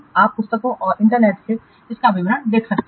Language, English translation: Hindi, You can see the details from the books and the internets